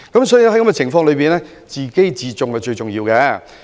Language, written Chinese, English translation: Cantonese, 所以，在此情況下，自重是最重要的。, Self - respect is very important in this circumstance